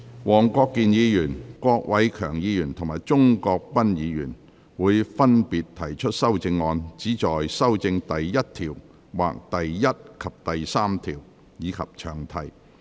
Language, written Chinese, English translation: Cantonese, 黃國健議員、郭偉强議員及鍾國斌議員會分別提出修正案，旨在修正第1條或第1及3條，以及詳題。, Mr WONG Kwok - kin Mr KWOK Wai - keung and Mr CHUNG Kwok - pan will propose amendments respectively which seek to amend clause 1 or clauses 1 and 3 and the long title